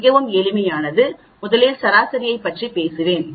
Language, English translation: Tamil, is quite simple let me first talk about the averages